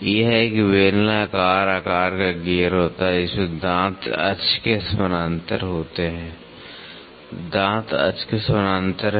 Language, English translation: Hindi, This is a cylindrical shaped gear in which the teeth are parallel to the axis; the teeth are parallel to the axis